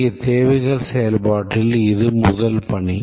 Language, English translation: Tamil, That is the first task in the requirements process here